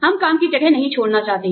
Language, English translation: Hindi, We do not want to leave the place of work